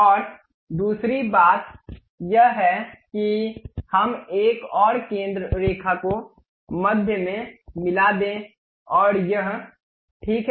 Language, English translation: Hindi, And second thing let us have another center line join the mid one and that is passing through this point, fine